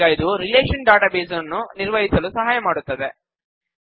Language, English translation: Kannada, Now this helps us to manage relational databases